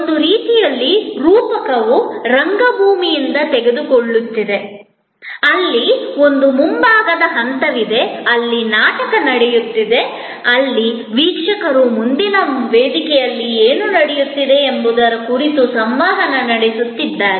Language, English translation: Kannada, In a way, the metaphor is taking from theater, where there is a front stage, where the play is taking place, where the viewer is interacting with what is happening on the front stage